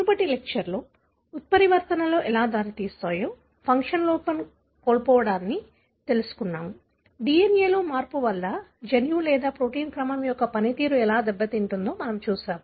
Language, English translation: Telugu, In the previous lecture, we looked into how mutations leads to, what do you know as loss of function defect, how a change in the DNA can result in a loss of the function of the gene or protein sequence